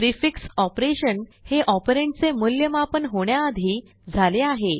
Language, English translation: Marathi, The prefix operation occurs before the operand is evaluated